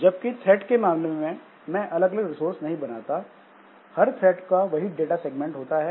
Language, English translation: Hindi, Whereas in case of threads, I don't create separate, separate resources, like the same data segment is common to all the threads